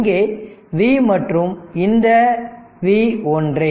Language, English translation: Tamil, So, here it is V by 25